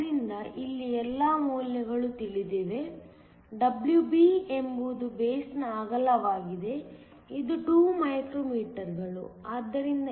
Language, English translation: Kannada, So, all of the values here are known; WB is the width of the base, which is 2 micrometers, so that this is equal to 1